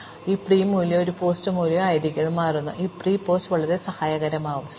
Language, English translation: Malayalam, So, I have a pre value and a post value, and it turns out that, this pre and post values can be very helpful